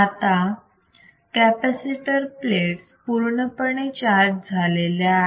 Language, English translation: Marathi, Now, capacitor plates are fully charged